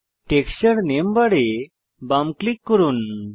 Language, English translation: Bengali, To select any texture type just left click on it